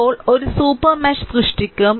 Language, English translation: Malayalam, Now, we will create a super mesh